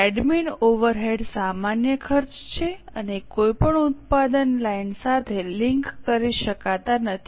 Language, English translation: Gujarati, Admin over eds are common costs and cannot be linked to any product line